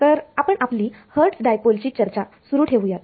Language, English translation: Marathi, So, we will continue our discussion of this Hertz Dipole